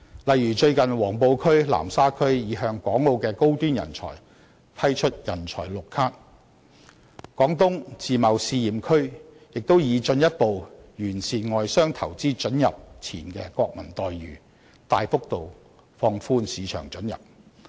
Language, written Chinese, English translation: Cantonese, 例如最近黃埔區、南沙區擬向港澳的高端人才批出"人才綠卡"；廣東自貿試驗區亦擬進一步完善外商投資准入前國民待遇，大幅度放寬市場准入。, For example the relevant authorities in Huangpu and Nansha are recently considering the proposal to issue talent green cards to high - end talents in Hong Kong and Macao while consideration is being given to largely relaxing the threshold of market access by further enhancing the pre - establishment national treatment for foreign investors in Guangdong Pilot Free Trade Zone